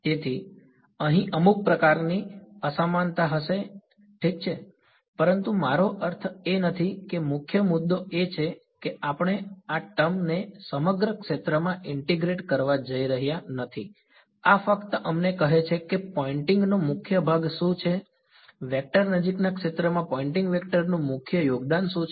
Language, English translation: Gujarati, So, there will be some sort of mismatch over here that is ok, but we are not I mean the main point is we are not going to integrate this term over the whole sphere this is just telling us what is the dominant part of the Poynting vector what is the main contribution to Poynting vector in the near field